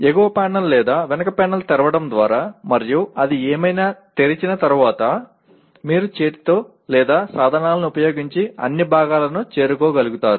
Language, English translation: Telugu, Once you open that by opening the top panel or back panel and whatever it is, then you should be able to reach all parts by hand or using tools